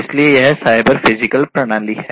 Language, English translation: Hindi, So, this is the cyber physical system